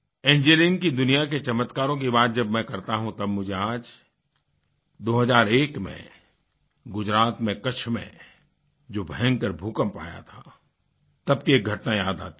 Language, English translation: Hindi, When I talk of wonders in the Engineering world, I am reminded of an incident of 2001 when a devastating earth quake hit Kutch in Gujarat